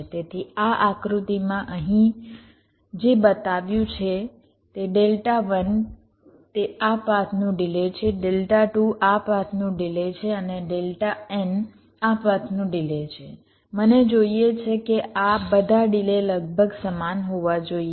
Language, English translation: Gujarati, so so, whatever i have shown here, if delta one is the delay of this path, delta two is the delay of this path and delta in the delay of this path, what i want is that these delays should all be approximately equal